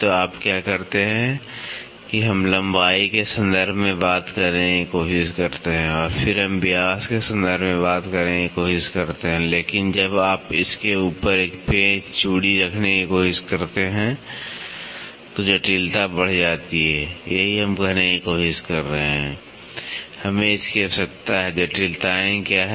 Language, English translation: Hindi, So, what you do is we try to talk in terms of length and then we try to talk in terms of diameter, but when you try to have a screw thread on top of it the complexity increases, that is what we are trying to say